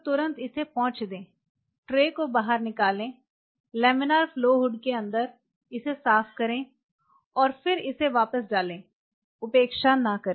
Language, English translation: Hindi, Immediately wipe it out pull out the tray wipe it out inside the laminar flow would and then put it back, do not neglect